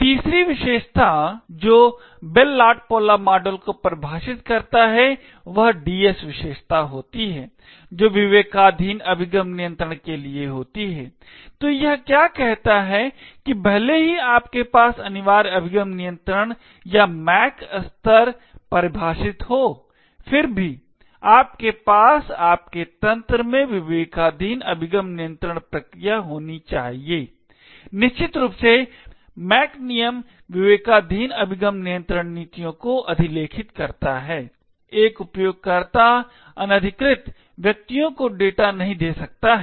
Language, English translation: Hindi, The third property which the Bell LaPadula model defines is the DS property which stands for Discretionary Access control, so what it say is that even though you have a mandatory access control or a MAC layer defined, nevertheless you should still have a discretionary access control mechanism in your system, essentially the MAC rules overwrite the discretionary access control policies, a user cannot give away data to unauthorised persons